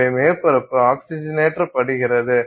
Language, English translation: Tamil, So, surface is oxidized